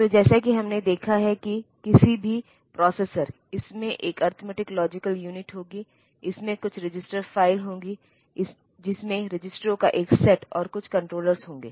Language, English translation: Hindi, So, as we have seen that any processor, it will have an arithmetic logic unit it will have some register file consisting of a set of registers, and some controller